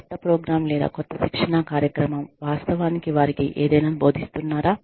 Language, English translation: Telugu, Is the new program, actually, or the new training program, actually teaching them, anything